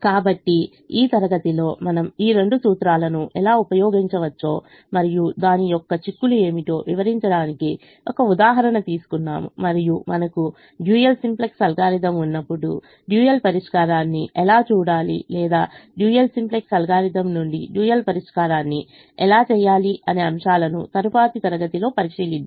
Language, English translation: Telugu, so in the class we will take an example to explain how we can use both these principles and what are the implications and how do we look at the dual solution when we have the dual simplex algorithm or from the dual simplex algorithm